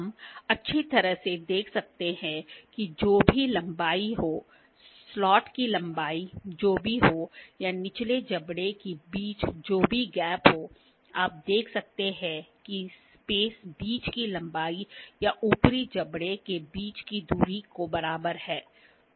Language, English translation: Hindi, We can very well see that whatever the length, whatever is the slot length or whatever is the gap between the lower jaws, that you can see the space is equivalent to the lengths between or the distance between the upper jaws